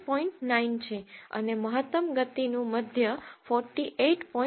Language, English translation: Gujarati, 9 and the mean of the maximum speed is 48